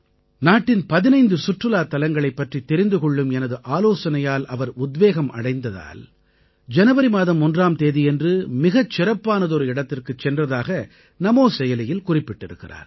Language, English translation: Tamil, Priyanka ji has written on Namo App that she was highly inspired by my suggestion of visiting 15 domestic tourist places in the country and hence on the 1st of January, she started for a destination which was very special